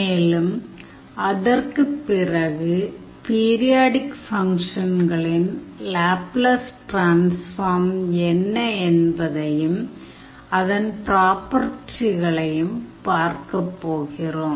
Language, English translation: Tamil, And, after that we will see what would be the Laplace transform of periodic function and their properties